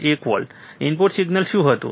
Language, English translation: Gujarati, 1 volt, what was the output signal